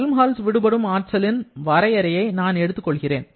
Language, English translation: Tamil, Now, let me use the definition of the Helmholtz energy now